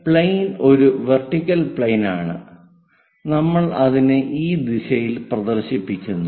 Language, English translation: Malayalam, Here the plane is a vertical plane and what we are projecting is in this direction we are projecting